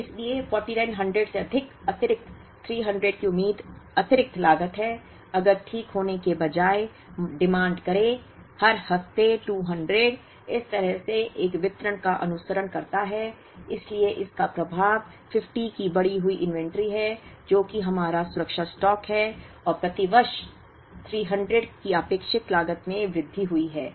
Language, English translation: Hindi, So, 4900 plus the extra 300 is the expected additional cost, if the demand instead of being exactly 200 every week, follows a distribution like this so the effect of that is an increased inventory of 50 which is our safety stock and an increased cost of expected increased cost of 300 per year